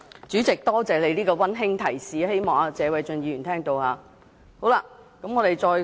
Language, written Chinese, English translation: Cantonese, 主席，多謝你這個溫馨提示，希望謝偉俊議員聽到。, President thank you for this kind reminder . I hope Mr Paul TSE is listening